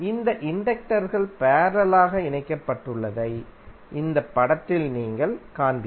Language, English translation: Tamil, So in this figure you will see that these inductors are connected in parallel